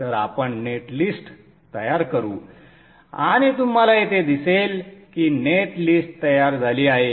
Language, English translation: Marathi, So let us generate the net list and you would see here that the net list has been generated